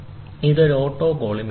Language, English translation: Malayalam, So, this is an autocollimator